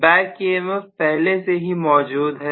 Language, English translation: Hindi, Because of the back emf